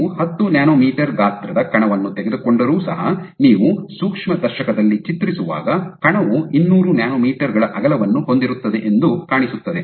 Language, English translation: Kannada, So, even if you take a particle which is 10 nanometers in size, when you image in the microscope image it will appear that the that the that that particle has a width of order 200 nanometers